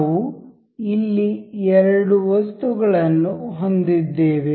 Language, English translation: Kannada, We here have two items